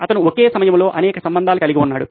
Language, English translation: Telugu, He had many relationships going on at the same time